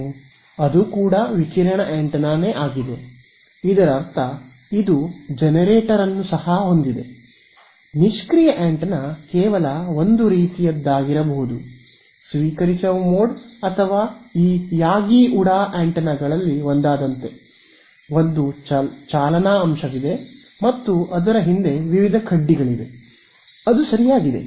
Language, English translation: Kannada, That is it is also radiating; that means, it also has a generator, passive antenna could be is just sort of in receiving mode or like a one of these Yagi Uda antennas, there is one driving element and there are various rods behind it which are there right